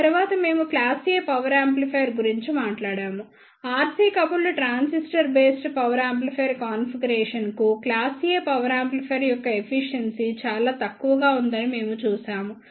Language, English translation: Telugu, After that we talked about the class A power amplifier, we saw that the efficiency of the class A power amplifier is very less for R C coupled transistor based power amplifier configuration